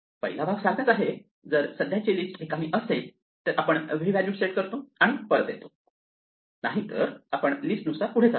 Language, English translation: Marathi, The first part is the same if the current list is empty then we just set the value to be v and we return, otherwise we now want to walk down the list